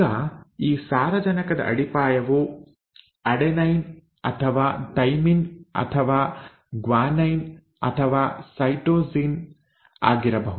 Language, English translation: Kannada, Now this nitrogenous base could be either an adenine or a thymine or a guanine or a cytosine